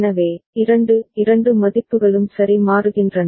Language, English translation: Tamil, So, two both the values are changing ok